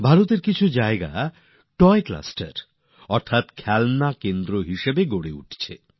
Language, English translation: Bengali, Some parts of India are developing also as Toy clusters, that is, as centres of toys